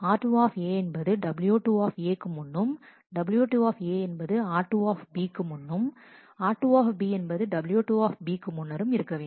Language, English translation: Tamil, R 2 A precedes w 2 A, w 2 A precedes r 2 B, r 2 B precedes w 2 B and so on